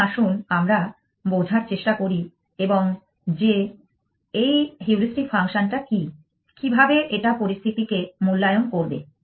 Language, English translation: Bengali, So, let us have a different heuristic function and this function is as follows